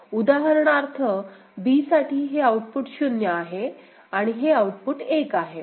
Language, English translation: Marathi, So, for example said b ok, here this input is output is 0 and this output is 1